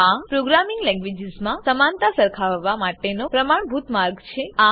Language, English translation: Gujarati, This is the standard way to compare the equality in programming languages